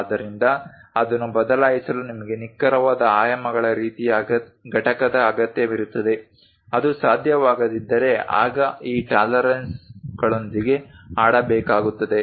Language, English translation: Kannada, So, to replace that you require similar kind of component of precise dimensions, if not possible then something one has to play with this tolerances